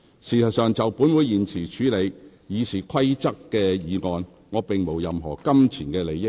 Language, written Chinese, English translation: Cantonese, 事實上，就本會現時處理修訂《議事規則》的議案，我並無任何金錢利益。, In fact with regard to the present motions to amend RoP I do not have any pecuniary interest